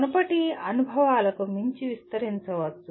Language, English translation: Telugu, Can extend beyond previous experiences